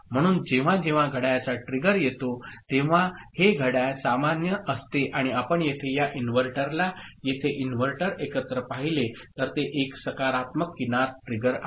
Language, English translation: Marathi, So, whenever clock trigger comes, the clock is common right and if you look at this inverter here inverter here together then it is a positive edge trigger